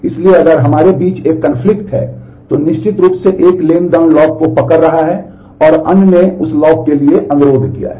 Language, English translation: Hindi, So, if we have a a conflict, then certainly one transaction is holding the lock and other is other has requested for that lock